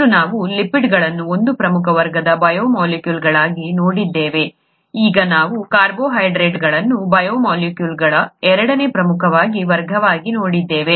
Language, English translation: Kannada, Earlier we saw lipids as one major class of biomolecules, now we are seeing carbohydrates as the second major class of biomolecules